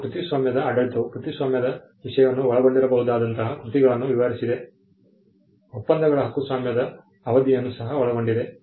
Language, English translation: Kannada, Now, the copyright regime described the kind of works that can be subject matter of copyright, the treaties also covered the term of copyright